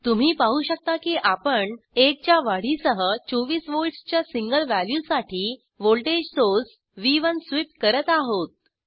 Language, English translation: Marathi, As you see we are sweeping voltage source V1 for a single value of 24 VOLTS with the step increment of 1